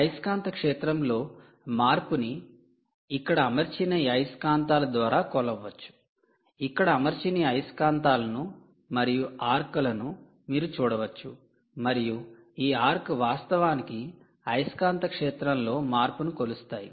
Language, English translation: Telugu, you can see this magnets, this arcs which are mounted here, and these arcs actually measure the magnetic field and the change in magnetic field